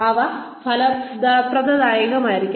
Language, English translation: Malayalam, They should be rewarding